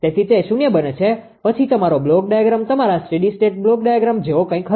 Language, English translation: Gujarati, So, makes is equal to 0 then your block diagram will will be something like your steady state block diagram